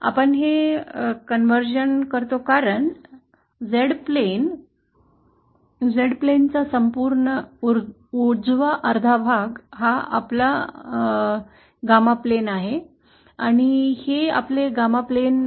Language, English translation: Marathi, We do this conversion because the entire right half of the Z plain this is our Z plain and this is our gamma plain